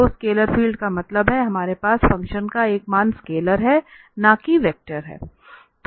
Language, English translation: Hindi, So, scalar field means so, we have the value of the function is a scalar and not a vector